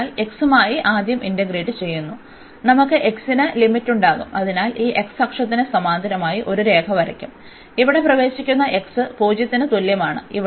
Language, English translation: Malayalam, So, for integrating first with respect to x, we will have the limits for the x, so we will draw a line parallel to this x axis and that enters here x is equal to 0